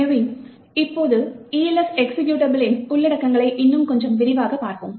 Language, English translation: Tamil, So now let us go a little more detail into the contents of the Elf executable